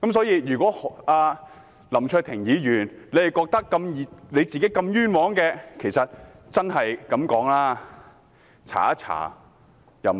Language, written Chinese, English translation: Cantonese, 如果林卓廷議員認為自己如此冤枉，坦白說，大可以調查一下。, If Mr LAM Cheuk - ting considers himself innocent honestly an investigation into the matter can be carried out